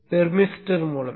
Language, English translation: Tamil, So this is a thermister